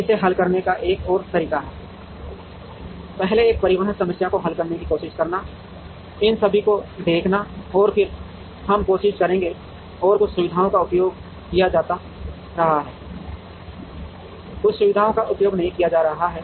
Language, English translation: Hindi, Another way of solving it is, to try and solve a transportation problem first, looking at all of these and then, we will try and get some facilities being used, some facilities not being used